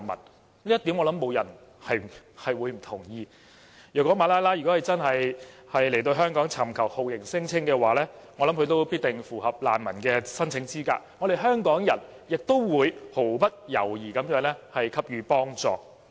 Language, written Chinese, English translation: Cantonese, 我相信這一點不會有人不同意，如果馬拉拉來港尋求酷刑聲請，我相信她也必定符合難民的申請資格，香港人也會毫不猶豫地給予幫助。, I believe no one will disagree with this point . If Malala came to Hong Kong to lodge a torture claim I believe she would meet the application requirements of a refugee and Hong Kong people will offer help without hesitation